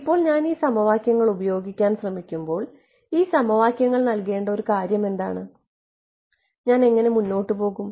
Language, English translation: Malayalam, Now so, when I try to use these equations the what is the one thing to enforce given these equations how do I proceed further